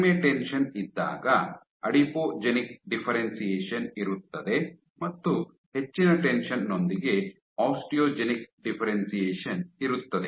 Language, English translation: Kannada, So, with higher tension when you have low tension, you have adipogenic differentiation and you have high tension you have osteogenic differentiation